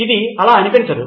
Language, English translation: Telugu, It doesn’t look like it